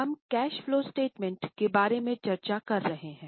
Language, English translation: Hindi, So, we are making a cash flow statement